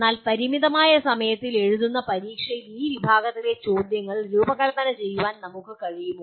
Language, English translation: Malayalam, But can we design questions of this category in limited time written examination